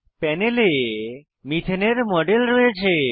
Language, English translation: Bengali, We have a model of methane on the panel